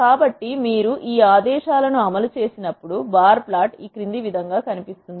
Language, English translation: Telugu, So, when you execute these commands, this is how the bar plot looks